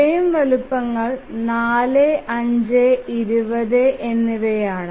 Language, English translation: Malayalam, So the frame sizes if you see here are 4, 5 and 20